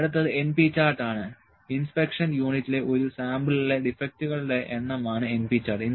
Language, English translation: Malayalam, Next is np chart; so, np chart is number of defectives in a sample of inspection units